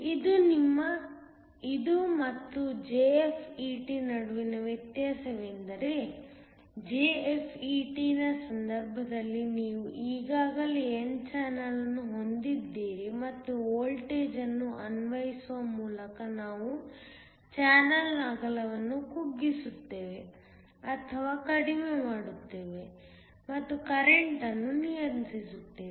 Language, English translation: Kannada, The difference between this and JFET, is that in the case of a JFET you already had an n channel that was present and by applying a voltage we shrunk or decrease the width of the channel and control the current